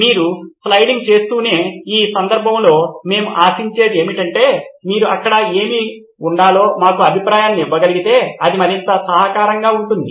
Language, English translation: Telugu, As you keep sliding, in this case what we expect is if you can give us feedback what it should be there it would be more helpful